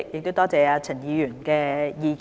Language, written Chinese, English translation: Cantonese, 多謝陳議員的意見。, I thank Mr CHAN for his suggestion